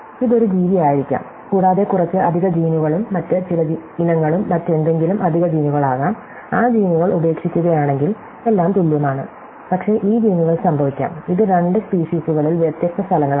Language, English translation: Malayalam, So, it could be one species other few extra genes and other species as a few extra gene something else and if drop those genes, then everything else the same, but these genes may occur, it different places in two species